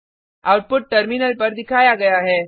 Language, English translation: Hindi, The output is as shown on the terminal